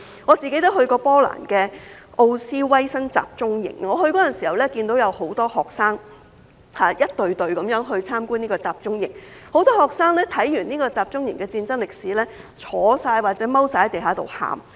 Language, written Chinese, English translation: Cantonese, 我曾前往波蘭的奧斯威辛集中營，我前往的時候，看到有很多學生，一整隊的前往參觀這個集中營，很多學生看完集中營的戰爭歷史，也坐或蹲在地上哭。, When I went to the Auschwitz concentration camp in Poland I saw many students visiting the camp in a group . After learning about the history of the war at the camp many students sat or squat on the ground weeping